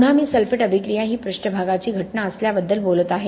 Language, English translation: Marathi, Again I am talking about sulphate attack being a surface phenomenon